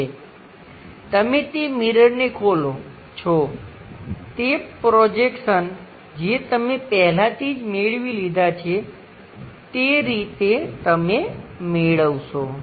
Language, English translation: Gujarati, And you open those mirrors whatever those projections you already obtained there is the way you get it